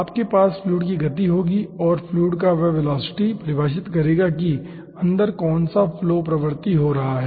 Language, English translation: Hindi, you will be having the movement of the fluid and that velocity of the fluid will be defining what flow regime will be occurring inside